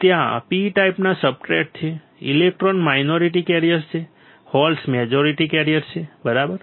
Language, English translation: Gujarati, P types substrate is there; the minority carriers are electrons majority carriers are holes right